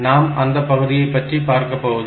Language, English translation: Tamil, So, we will not go into that part